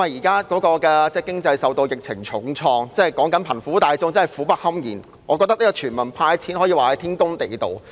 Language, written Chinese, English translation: Cantonese, 經濟現時受到疫情重創，貧苦大眾苦不堪言，我認為全民"派錢"天公地道。, As the economy is hard hit by the epidemic people are living in great distress; hence I think it is reasonable to hand out money to all people